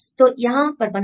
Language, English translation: Hindi, So, make here